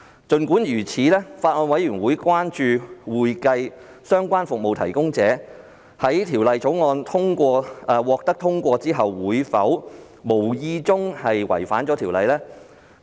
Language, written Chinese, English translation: Cantonese, 儘管如此，法案委員會關注會計相關服務提供者會否在《條例草案》獲通過後無意中違反《條例》。, Notwithstanding so the Bills Committee is concerned whether accounting - related service providers will inadvertently contravene the Ordinance upon the passage of the Bill